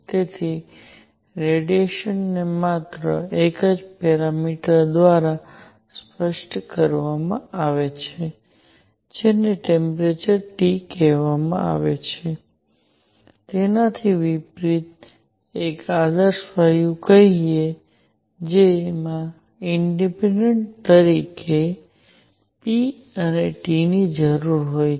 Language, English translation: Gujarati, So, radiation is specified by only one variable called the temperature T, unlike; let say an ideal gas that requires p and T, independently